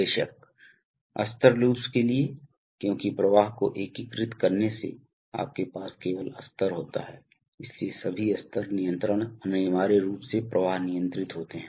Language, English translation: Hindi, Of course, for level loops because by integrating flow only you have level, so all level control is essentially flow control